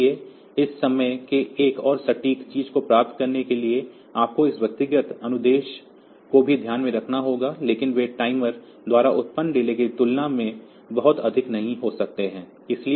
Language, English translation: Hindi, So, to get a more accurate thing like you have to take into account this individual instruction delays also, but they are they may not be very high compared to the delay that is produced by the timer